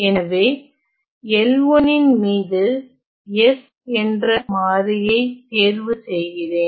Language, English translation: Tamil, So, on L 1 let me choose my variable s